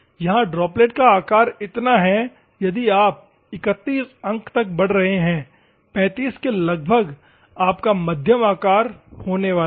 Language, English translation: Hindi, Here is the droplet size is this much, if you are increasing to 31 points, 35 approximately you are going to get a medium size